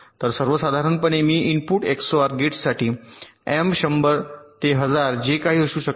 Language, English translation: Marathi, so in general, for m input xor gate, m can be hundred thousand, whatever